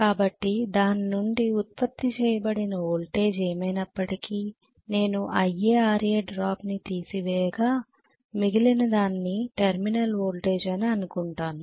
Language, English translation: Telugu, So whatever is the generated voltage from that I am going to have IA RA drop rest of it is going to go as the terminal voltage, right